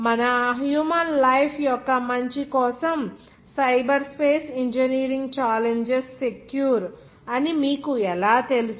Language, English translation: Telugu, How to secure you know cyberspace engineering challenges are coming from then onwards for the betterment of our human life